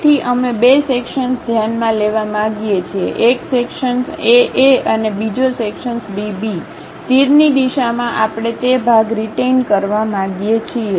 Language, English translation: Gujarati, So, we would like to consider two sections; one section A A and other section B B; in the direction of arrow we would like to retain that part